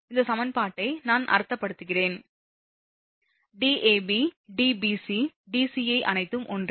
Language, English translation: Tamil, So, I mean Dab Dbc Dca all are same